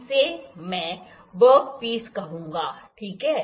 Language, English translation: Hindi, I will call it work piece, ok